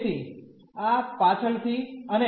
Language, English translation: Gujarati, So, this for later and